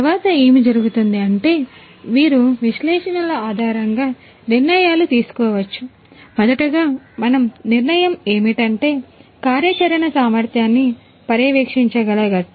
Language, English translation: Telugu, So, thereafter what happens is you can based on analytics, you can make decisions, decisions about the first of all you know we can monitor the operational efficiency